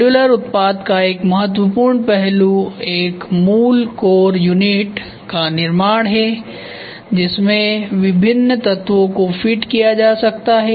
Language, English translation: Hindi, An important aspect of modular product is the creation of a basic core unit to which different elements can be fitted